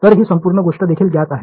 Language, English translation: Marathi, So, this whole thing is also known